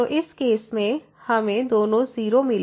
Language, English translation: Hindi, So, in this case we got this 0 both are 0